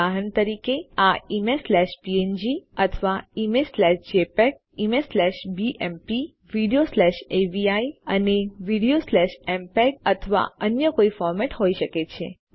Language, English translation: Gujarati, For example this can be image slash png or image slash jpeg, image slash bmp , video slash avi and video slash mpeg or some other format